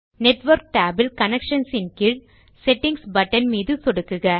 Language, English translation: Tamil, Within the Network tab, under Connections, click on the Settings button